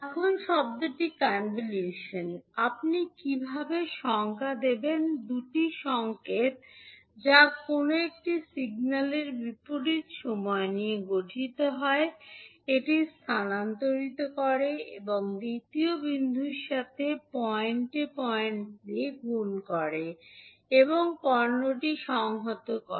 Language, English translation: Bengali, Now the term convolution, how you will define, the two signals which consists of time reversing of one of the signals, shifting it and multiplying it point by point with the second signal then and integrating the product then the output would be the convolution of two signals